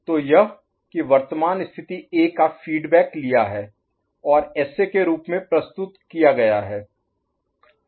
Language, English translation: Hindi, So that A, the current state value is fed back, okay, and presented as SA